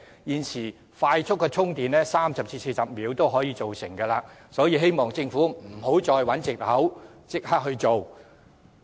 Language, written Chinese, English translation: Cantonese, 現時的快速充電設施只需要30至40分鐘，便可大致上完成充電，所以希望政府不要再找藉口，應立刻付諸實行。, As fast chargers are now available to fully recharge EVs in only 30 to 40 minutes the Government should not try to find excuses and should take immediate actions to put the plan into practice